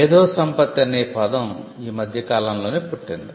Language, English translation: Telugu, So, the term intellectual property has been of a recent origin